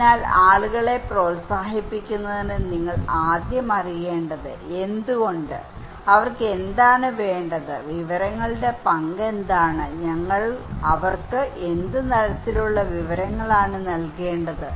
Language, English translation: Malayalam, So, in order to encourage people you first need to know why, what they need, what is the role of information, what kind of information we should provide to them